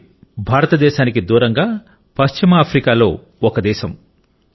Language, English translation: Telugu, Mali is a large and land locked country in West Africa, far from India